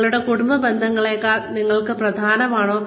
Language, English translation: Malayalam, Is it more important for you, than your family relationships